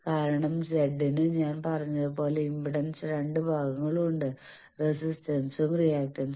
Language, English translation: Malayalam, Because as I said that Z bar has two parts impedance as resistance as well as reactance, so reactance means X bar